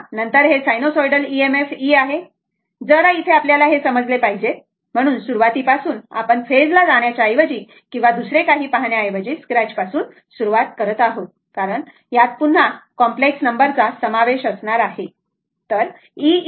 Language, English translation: Marathi, So, then this is the sinusoidal EMF that E is equal to your little bit here little bit, we have to we have to understand here right, right from the beginning that is why we have started from the scratch rather than going to the phase or another first we have to this because complex number will be involved again and again here, right